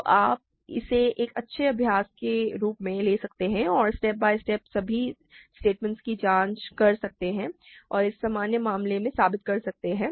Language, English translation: Hindi, So, you can do this as a good exercise, you can step by step check all the statements and prove it in this general case